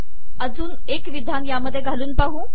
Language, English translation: Marathi, Let us add one more aligned statement